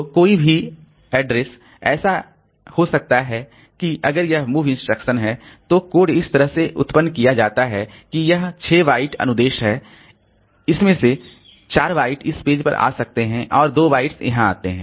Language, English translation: Hindi, So, so any address, so it may so happen that this if this move instruction is the code is generated in such a fashion that it is a, this is a 6 byte instruction out of that maybe 4 bytes come onto this page and 2 bytes come here